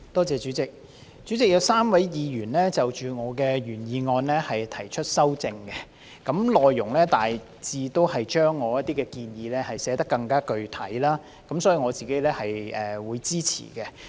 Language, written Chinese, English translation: Cantonese, 主席，有3位議員就我的原議案提出修正案，內容大致是把我的一些建議寫得更具體，因此我是會支持的。, President three Members have proposed amendments to my original motion which mainly seek to set out some of my proposals in a more specific way so I will give my support to them